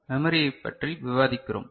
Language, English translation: Tamil, We are discussing Memory